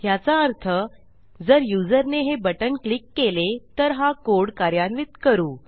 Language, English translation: Marathi, And this will say if the user has clicked this button, then we can carry on with our code